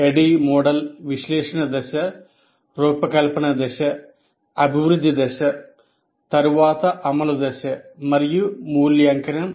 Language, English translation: Telugu, ADD model has analysis phase, design phase, development phase followed by implement phase and evaluate phase